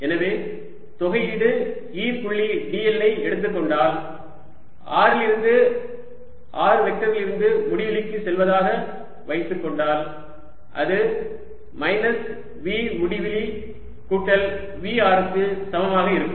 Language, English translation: Tamil, so if i take integral d l going from a point r, let us say r vector to infinity, this would be equal to minus v at infinity plus v at r